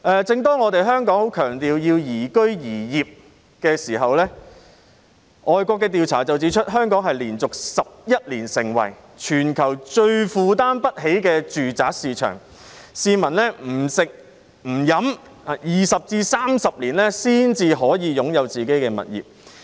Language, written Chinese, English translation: Cantonese, 正當香港十分強調要宜居宜業的時候，外國有調查指出，香港連續11年成為全球最負擔不起的住宅市場，市民不吃不喝20年至30年，才可以擁有自己的物業。, While Hong Kong is emphasizing the development of itself into a quality place for living and working an overseas survey points out that Hong Kong has been the most unaffordable residential market for 11 years in a row . A citizen can only possess his own property if he does not eat or drink for 20 to 30 years